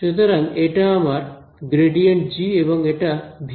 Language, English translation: Bengali, So, this is my grad g and this is my v